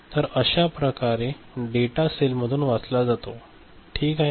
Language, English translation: Marathi, So, this is the way data is read from the cell, fine